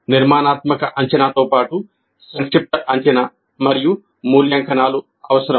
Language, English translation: Telugu, Formative assessment as well as summative assessment and evaluations are essential